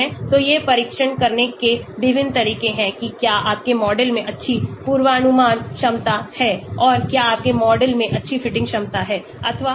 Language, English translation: Hindi, So these are different ways of testing it out whether your model has good predictive capability and whether your model has good fitting capability